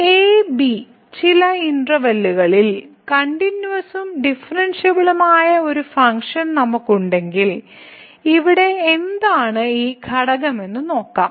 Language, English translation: Malayalam, So, if we have a function which is continuous and differentiable in some interval and then let us take a look what is this quotient here